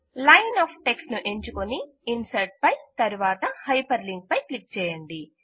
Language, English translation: Telugu, Select the second line of text and click on Insert and then on Hyperlink